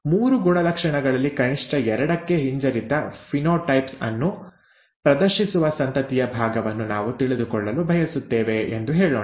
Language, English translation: Kannada, And let us say that we would like to know the fraction of the offspring that exhibit recessive phenotypes for atleast two of the three characters